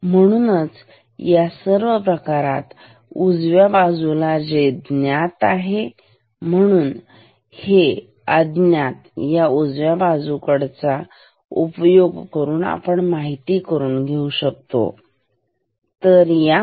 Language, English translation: Marathi, So, therefore, so, all these quantities on the right side, this is known, this is known, this is known so, this unknown can be found from this right